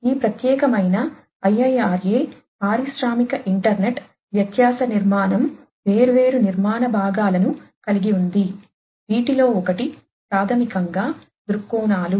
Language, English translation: Telugu, So, this particular IIRA industrial internet difference architecture has different architectural components, one of which is basically the viewpoints